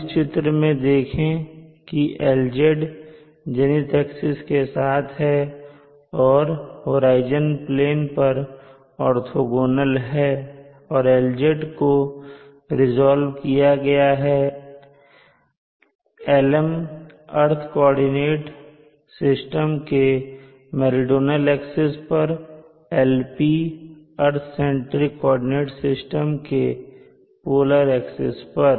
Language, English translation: Hindi, Now looking at the figure here Lz is along the zenith axis which is orthogonal to the horizon plane and Lz can be resolved into Lm on the earth centric coordinate system and also Lp on the earth centric coordinate system polar axis